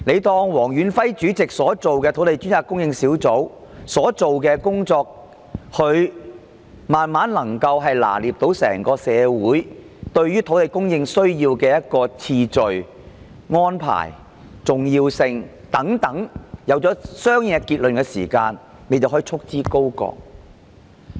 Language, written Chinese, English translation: Cantonese, 當黃遠輝主席負責的土地供應專責小組慢慢能夠掌握整個社會對於土地供應的優先次序、安排和重要性等意見時，政府是否把專責小組束之高閣？, When the Task Force chaired by Stanley WONG has gradually grasped public views on the priority arrangement and importance of land supply is the Government going to shelve the report of the Task Force?